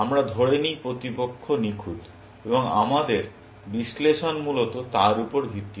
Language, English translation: Bengali, We assume the opponent is perfect, and our analysis is based on that, essentially